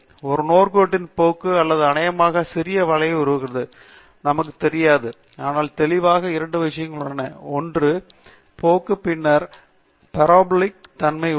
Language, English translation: Tamil, There is a linear trend or probably a slightly parabolic trend, we do not know, but vividly there are two things a linear trend and then there is an oscillatory nature to it